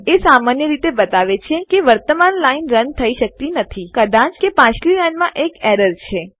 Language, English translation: Gujarati, It usually says the current line cant be run may be because of an error on previous line